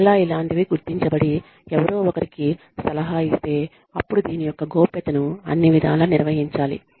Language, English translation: Telugu, And again, if something like this is detected, and somebody is counselled, then confidentiality of this should be maintained, at all costs